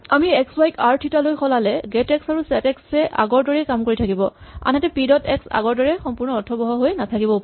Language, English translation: Assamese, If we move x, y to r, theta, get x and set x will still work, whereas p dot x may not be meaningful anymore